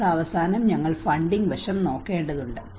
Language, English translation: Malayalam, At the end of the day, we need to look at the funding aspect